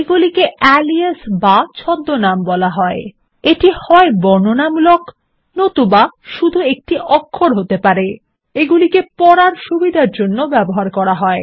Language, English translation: Bengali, These are called Aliases, which can be either descriptive or just single alphabets for better readability